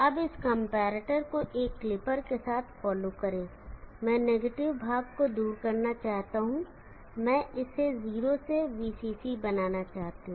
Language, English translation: Hindi, Now follow this comparator with the clipper, I want to remove the negative portion, I want to make it 0 to VCC